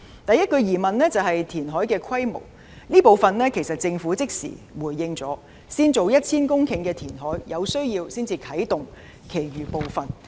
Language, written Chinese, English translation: Cantonese, 第一個疑問是填海的規模，這部分政府已經即時回應，先展開 1,000 公頃的填海工程，若有需要才啟動其餘部分。, First it is about the scale of reclamation . The Government has responded to this instantly . They will first work on a reclamation project of 1 000 hectares and work on the rest if it is needed